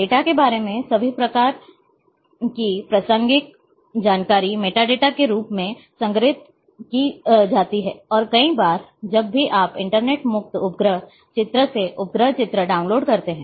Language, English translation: Hindi, All kinds of relevant information about the data has to be stored as metadata and the many times whenever you download a satellite image from internet free satellite images